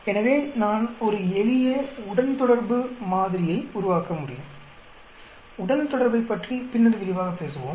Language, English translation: Tamil, So, I could develop a simple regression model, we will talk about regression much more in detail later